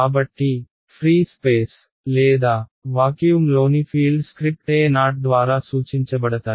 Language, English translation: Telugu, So, the fields in empty space or vacuum they are denoted by the 0 under script right